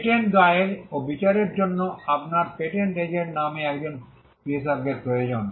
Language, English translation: Bengali, For filing and prosecuting patents, you need a specialist called the patent agent